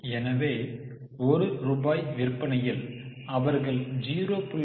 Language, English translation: Tamil, So, for one rupee of sales they had 0